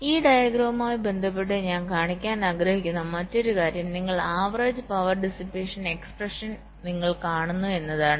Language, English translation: Malayalam, ok, and the other thing i want to also show with respect to this diagram is that you see, you recall the average power dissipation expression